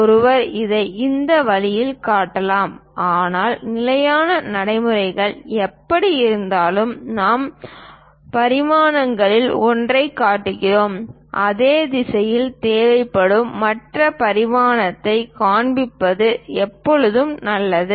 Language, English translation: Tamil, One can also show it in this way, but the standard practices because anyway we are showing one of the dimension, it is always good to show the other dimension required also in the same direction